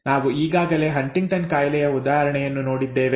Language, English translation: Kannada, We have already seen an example of Huntington’s disease earlier